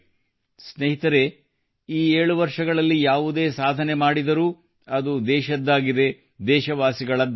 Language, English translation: Kannada, Friends, whatever we have accomplished in these 7 years, it has been of the country, of the countrymen